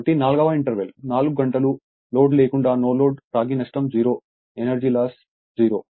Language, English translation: Telugu, So, interval four, 4 hours no load copper loss is 0 energy loss is 0